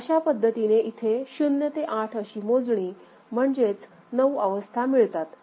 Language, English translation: Marathi, So, effectively you are having 0 to 8; that means 9 unique states